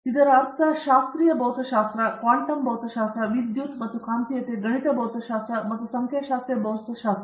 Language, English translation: Kannada, So, this means classical physics, quantum physics, electricity and magnetism and mathematical physics and statistical physics